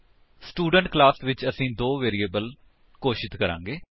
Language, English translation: Punjabi, In the Student class we will declare two variables